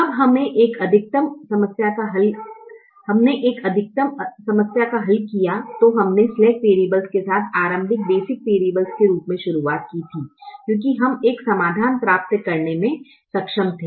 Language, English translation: Hindi, when we solved a maximization problem, we started with the slack variables as the initial basic variables because we were able to get a solution